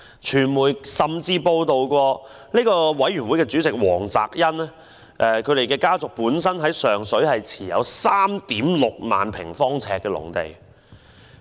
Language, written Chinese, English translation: Cantonese, 傳媒甚至報道，委員會主席黃澤恩家族於上水持有 36,000 萬平方呎的農地。, It has even been reported in the media that the family of Dr Greg WONG Chairman of the Advisory Committee owns 36 000 sq ft of agricultural land in Sheung Shui